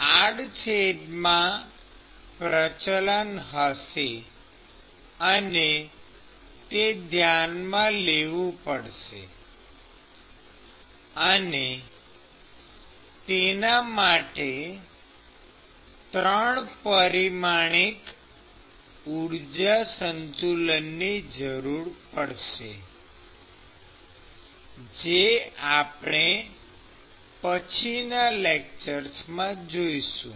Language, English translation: Gujarati, There will be gradients in the cross section; and you will have to consider that; and that would require 3 dimensional energy balance which we will see a few lectures down the line